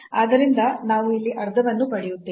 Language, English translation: Kannada, So, we will get half there